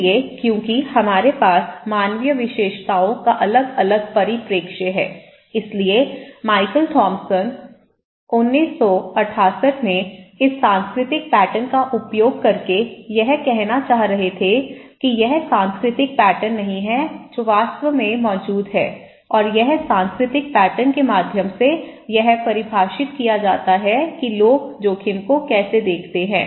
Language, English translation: Hindi, So, because we have different perspective of human features so, Michael Thomson in 1978 and he was trying to say using this cultural pattern that it is not the cultural pattern that exists and also this cultural pattern actually, through it defines that how people see the risk okay, how people see the risk